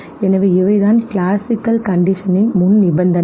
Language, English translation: Tamil, So, the prerequisites from classical conditioning